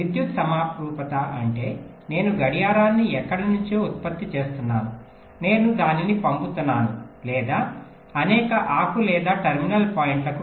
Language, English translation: Telugu, what does electrical symmetry means electrical symmetry means that, well, i am generating the clock from somewhere, i am sending it or distributing it to several leaf or terminal points